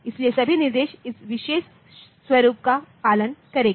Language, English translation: Hindi, So, all instructions will follow this particular format